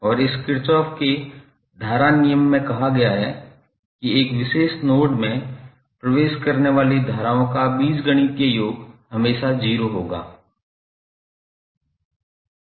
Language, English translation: Hindi, And this Kirchhoff’s current law states that the algebraic sum of currents entering in a particular node or in a closed boundary will always be 0